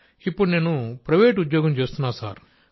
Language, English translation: Telugu, Sir, presently I am doing a private job